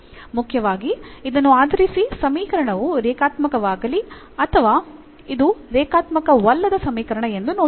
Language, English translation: Kannada, Mainly based on this whether the equation is linear or this is a non linear equation